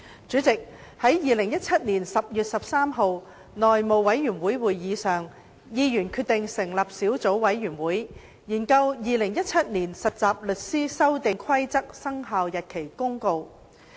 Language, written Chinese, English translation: Cantonese, 主席，在2017年10月13日內務委員會會議上，議員決定成立小組委員會，研究《〈2017年實習律師規則〉公告》。, President at the House Committee meeting of 13 October 2017 Members decided to form a subcommittee to study the Trainee Solicitors Amendment Rules 2017 Commencement Notice